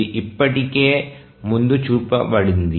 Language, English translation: Telugu, So, this we already shown earlier